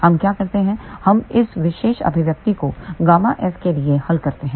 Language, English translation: Hindi, What do we do it is we solve this particular expression for gamma s